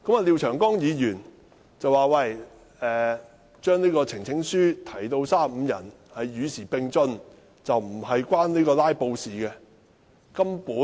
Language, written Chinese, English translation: Cantonese, 廖議員說把提交呈請書的最低人數增至35人是與時並進，與"拉布"無關。, Mr LIAO said that to increase the minimum number of Members making a petition to 35 was to keep abreast of the times and had nothing to do with filibusters